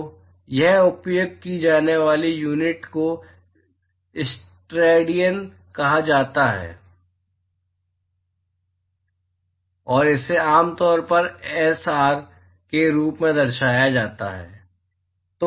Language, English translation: Hindi, So, the units that is used here is called the steradians and it is typically represent as ‘sr’